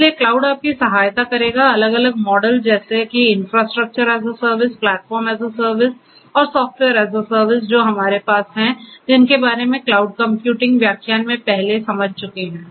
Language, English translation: Hindi, So, cloud will help you with the help of it is different models such as the infrastructure as a service, platform in service and software as a service that we have understood in the cloud computing lecture earlier